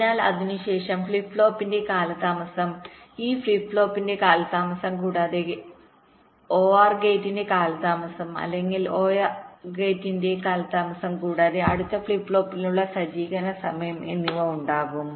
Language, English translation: Malayalam, so after that there will be a delay of the flip flop, delay of this flip flop plus delay of the or gate, delay of the or gate plus setup time for the next flip flop before the next clock can come